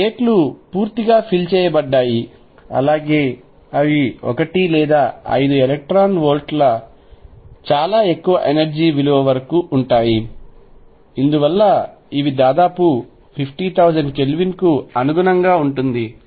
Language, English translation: Telugu, This states that are filled are all the way up to a very high energy value of 1 or 5 electron volts very high energy value because this corresponds roughly 50000 Kelvin